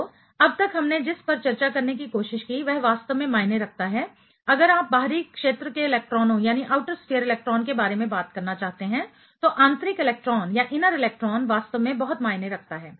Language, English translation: Hindi, So, what we tried to discuss so far is simply it really matters, the inner electron really matters a lot if you want to talk about the outer sphere electrons